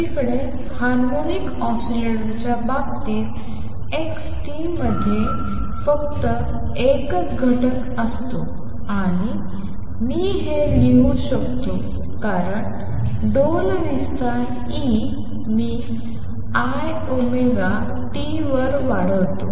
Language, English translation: Marathi, On the other hand, in the case of harmonic oscillator x t has only one component and I can write this as the amplitude e raise to i omega t